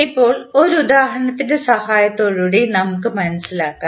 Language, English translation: Malayalam, Now, let us understand with the help of the example